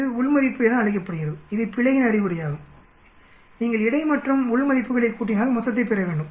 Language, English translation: Tamil, This is called within, this is an indication of the error,if you add between and within you should get the total